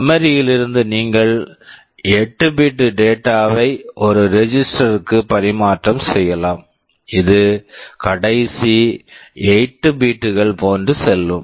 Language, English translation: Tamil, From memory you can transfer 8 bits of data into a register, it will go into the last 8 bits, etc